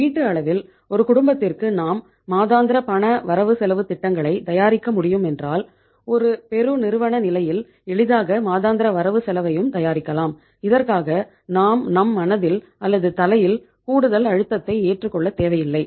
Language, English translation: Tamil, If in case of the one household in one family if you prepare a monthly budget then we can easily prepare the monthly budget at the corporate level and in that case we donít means put some extra pressure on our mind or on our head